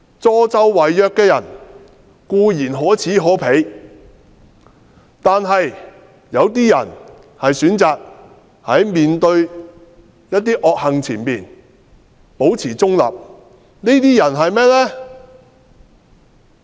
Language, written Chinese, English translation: Cantonese, 助紂為虐的人固然可耻可鄙，但一些人選擇面對惡行保持中立，這些是甚麼人呢？, Those who aid and abet the abusers are certainly despicable but how shall we describe those who choose to maintain a neutral position in the face of evil deeds?